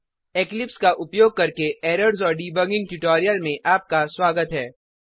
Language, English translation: Hindi, Welcome to the tutorial on Errors and Debugging using Eclipse